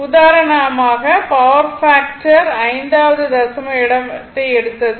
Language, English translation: Tamil, For example, power factor I have taken the fifth decimal place